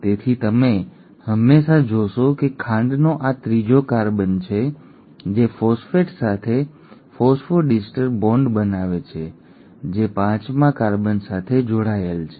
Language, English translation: Gujarati, So you always find at, this is the third carbon of the sugar which is forming the phosphodiester bond with the phosphate which is attached to the fifth carbon